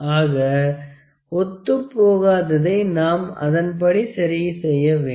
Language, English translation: Tamil, So, we have to adjust it accordingly